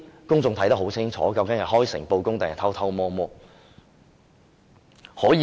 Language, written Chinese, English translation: Cantonese, 公眾看得很清楚，究竟這是開誠布公，還是偷偷摸摸？, The public can see very clearly whether he has been frank and honest or whether he has acted secretly